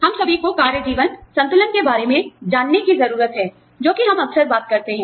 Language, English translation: Hindi, We all need to take, you know, achieve the work life balance, that we talk about, so often